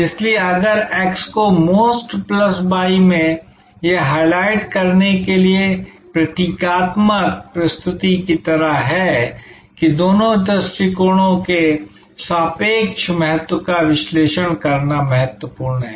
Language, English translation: Hindi, So, if this x into MOST plus y it is just like a kind of a symbolic presentation to highlight, that the relative importance of both approaches are important to analyze